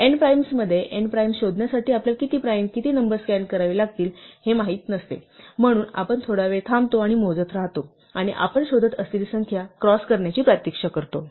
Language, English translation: Marathi, In nprimes, we do not know how many primes, how many numbers we have to scan to find nprimes, so we use a while and we keep count and we wait for the count to cross the number that we are looking for